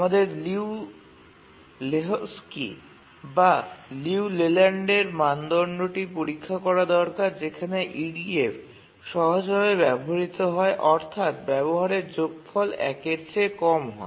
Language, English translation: Bengali, We need to check the Liu Lehojki or the Liu Leyland criterion, whereas the EDF is simple, the utilization, sum of utilization is less than one